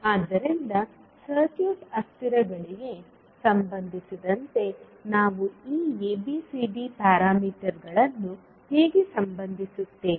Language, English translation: Kannada, So, how we will relate these ABCD parameters with respect to the circuit variables